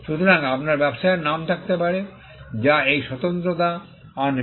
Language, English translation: Bengali, So, you could have trade names which will bring this uniqueness